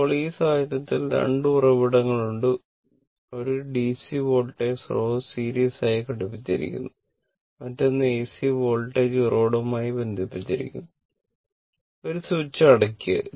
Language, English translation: Malayalam, Now, in this case 2 sources are there; one your DC voltage source is connected in series, another is AC source AC voltage source is connected one switch is there you close the switch right